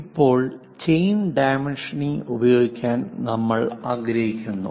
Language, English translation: Malayalam, Now, we would like to use chain dimensioning